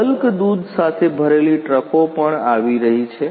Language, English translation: Gujarati, Also trucks loaded with lot of bulk milk is also coming